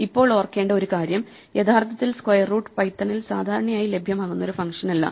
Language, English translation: Malayalam, Now one thing to remember is that actually square root is not a function available by default in python